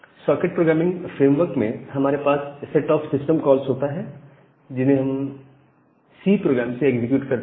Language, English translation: Hindi, So, in a socket programming framework, we have a set of system calls that we can execute from the C program